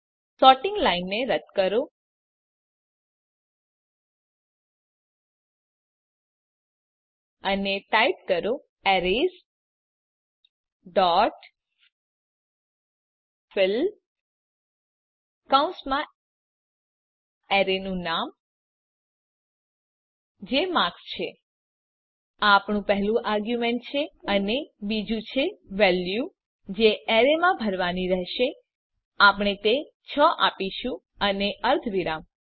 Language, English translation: Gujarati, Remove the sorting line and Type Arrays dot fill within brackets the name of the arrays i.e marks This is our first argument and second is the value that should be filled in the array we will give it 6 and semicolon